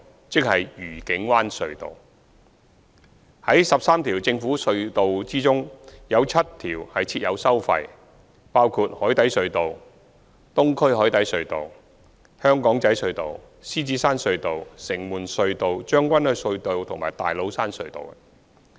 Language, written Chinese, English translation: Cantonese, 在13條政府隧道中，有7條設有收費，包括海底隧道、東區海底隧道、香港仔隧道、獅子山隧道、城門隧道、將軍澳隧道和大老山隧道。, Among the 13 government tunnels seven of them are tolled tunnels including the Cross Harbour Tunnel CHT Eastern Harbour Crossing EHC Aberdeen Tunnel Lion Rock Tunnel Shing Mun Tunnels Tseung Kwan O Tunnel and Tates Cairn Tunnel